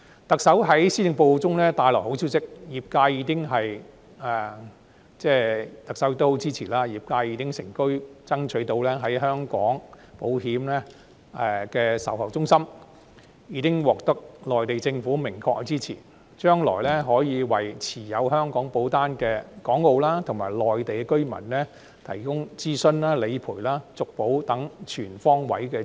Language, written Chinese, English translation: Cantonese, 特首在施政報告中帶來好消息，特首的大力支持為業界成功爭取到就香港保險設立售後服務中心，已獲內地政府明確支持，將來可為持有香港保單的港澳和內地居民提供諮詢、理賠及續保等全方位支持。, In the Policy Address the Chief Executive has brought the good news that with her total support we have secured explicit support from the Mainland Government for Hong Kongs insurance industry to establish after - sales service centres to provide Hong Kong Macao and Mainland residents holding Hong Kong policies with comprehensive support in different areas including enquiries claims and renewal of policies